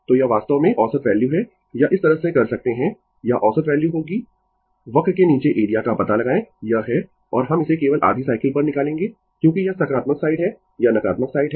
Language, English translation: Hindi, So, this is actually the average value or you can do like this or average value will be, you find out the area under the curve, this is the and we will make it only over the half cycle is because this is positive side, this is negative side